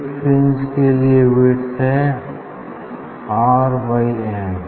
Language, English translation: Hindi, for one fringe what will be the width R by n